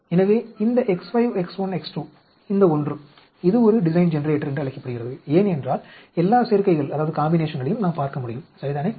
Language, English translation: Tamil, So, this X 5, X 1, X 2, this one this is called a Design Generator because we can look at all the combinations, right